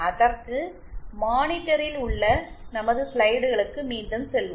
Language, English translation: Tamil, So, let us go back to our slides on the monitor